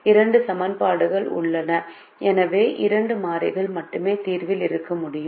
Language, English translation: Tamil, there are two equations, so only two variables can be in the solution